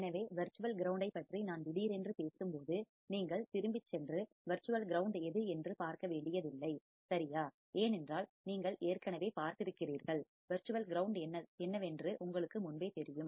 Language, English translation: Tamil, So, when I talk suddenly about virtual ground, you do not have to go back and see what is virtual ground right, because you have already seen and you have already know what exactly virtual ground is